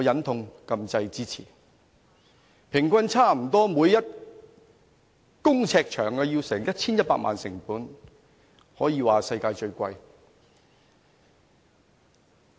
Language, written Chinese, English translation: Cantonese, 該幹線每公尺的平均成本差不多要 1,100 萬元，可說是世界最昂貴。, With an average cost of 11 million per square foot it is the most expensive road in the world